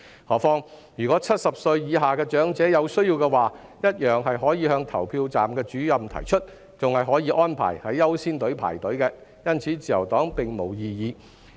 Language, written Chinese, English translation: Cantonese, 何況若70歲以下的長者有需要，只要向投票站主任提出，同樣可獲安排在"優先隊伍"輪候，因此自由黨並沒有異議。, Besides elderly persons below 70 who are in need may raise their need to the Presiding Officers and they can also be placed in caring queues . For this reason the Liberal Party has no objection